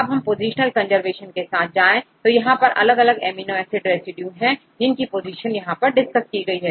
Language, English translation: Hindi, If you go with a positional conservation this is at the different amino acid residues we discussed about few positions